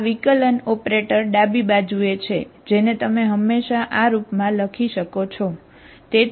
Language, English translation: Gujarati, This, these are differential operator left hand side, you can always write in this form